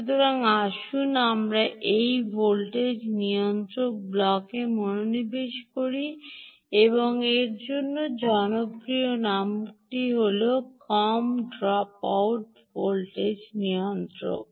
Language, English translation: Bengali, ok, so let us concentrate on this voltage regulator block, and the popular name for that, indeed, is the low drop out regulator